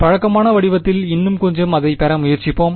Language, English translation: Tamil, Let us try to get it into a little bit more of a familiar form ok